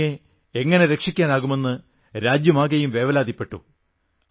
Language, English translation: Malayalam, The whole country was concerned about saving Tomy